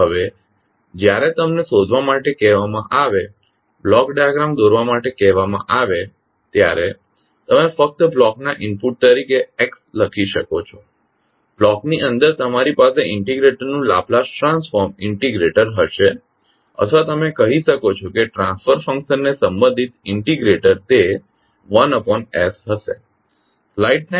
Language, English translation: Gujarati, Now, when you are asked to find, to draw the block diagram you can simply write Xs as an input to the block, within the block you will have integrator the Laplace transform of the integrator or you can say the transfer function related to integrator that will be 1 by s into Ys